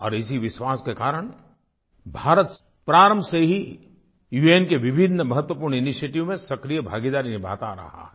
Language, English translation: Hindi, And with this belief, India has been cooperating very actively in various important initiatives taken by the UN